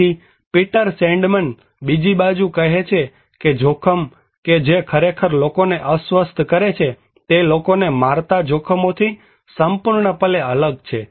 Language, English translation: Gujarati, So, Peter Sandman, on the other hand is saying that risk that actually upset people are completely different than the risks that kill people